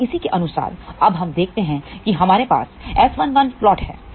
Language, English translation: Hindi, Now corresponding to this now let us see we have S 1 1 plot